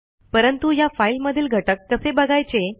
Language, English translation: Marathi, But how do we see the content of this file